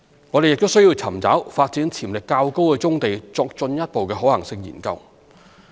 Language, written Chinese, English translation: Cantonese, 我們亦需要尋找發展潛力較高的棕地作進一步的可行性研究。, There is also a need for us to identify brownfield sites with a higher development potential for further study on their development feasibility